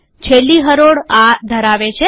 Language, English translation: Gujarati, The last row has this